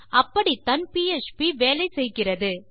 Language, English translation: Tamil, That is, because of the way PHP works